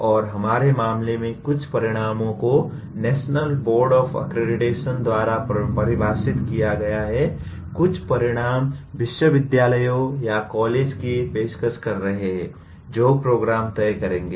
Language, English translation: Hindi, And in our case, some outcomes are defined by National Board of Accreditation; some outcomes are the universities or colleges offering the program will have to decide